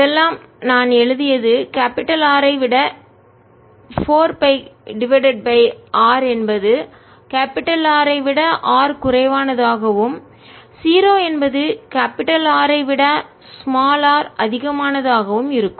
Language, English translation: Tamil, all that that i have written is going to be four pi over r for r less than r and zero for r greater than r, and that's the answer